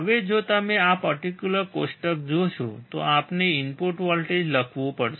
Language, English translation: Gujarati, Now, if you see this particular table we have to write input voltage